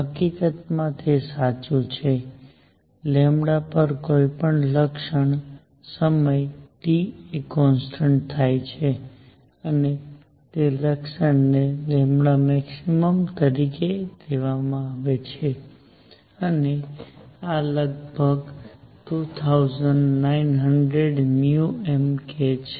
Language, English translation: Gujarati, In fact, what is true is at lambda any feature times T is a constant and that feature be happened to take to be the lambda max, and this comes out to be the roughly 2900 micrometer Kelvin